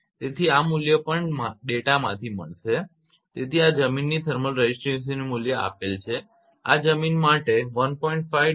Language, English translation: Gujarati, So, this value is also during the data this value is given thermal resistivity of soil this is for soil 1